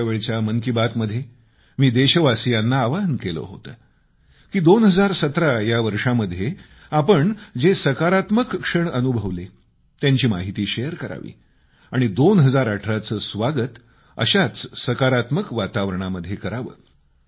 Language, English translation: Marathi, During the previous episode of Mann Ki Baat, I had appealed to the countrymen to share their positive moments of 2017 and to welcome 2018 in a positive atmosphere